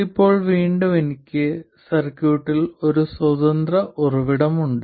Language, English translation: Malayalam, Now again I have a single independent source in the circuit